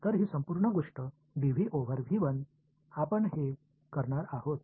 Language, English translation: Marathi, So, this whole thing dv over v 1 that is what we are going to do ok